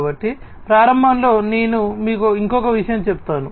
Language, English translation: Telugu, So, at the outset let me just tell you one more thing that